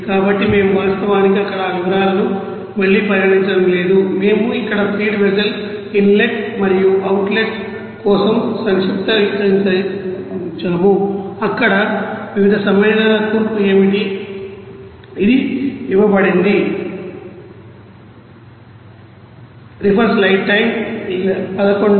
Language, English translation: Telugu, So, we are not actually considering that details here again So, we are just summarizing for this here feed vessel you know inlet and outlet what will be the composition of different you know compounds there, so it is given